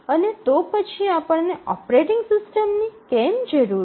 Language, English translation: Gujarati, And then why do we need a operating system